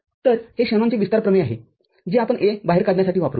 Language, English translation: Marathi, So, this is the Shanon’s expansion theorem that we shall be using for taking A out